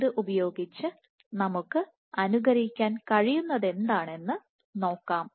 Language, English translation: Malayalam, So, using this let us see what we can simulate